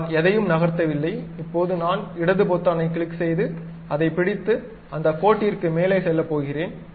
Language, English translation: Tamil, Right now I did not move anything, now I am going to click left button, hold that, and move over that line